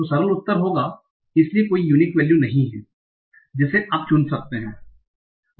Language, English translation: Hindi, So simple answer would be, so there is no unique value that you can choose